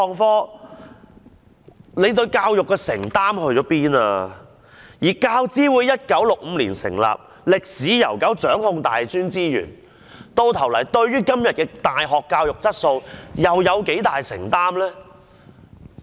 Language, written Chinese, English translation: Cantonese, 況且，教資會成立於1965年，可謂歷史悠久，掌控大專資源，但究竟對於今天的大學教育質素又有多大承擔呢？, Besides UGC was established in 1965 thus one may say that it has a long history in taking charge of university resources but what commitments does it have towards the quality of university education today?